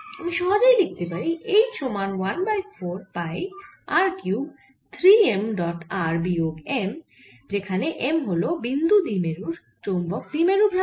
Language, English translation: Bengali, i can make an analogy and i can just write that h is equal to one over four pi r cube three m dot r minus, sorry, r minus m, where m is the magnetic moment of the point dipole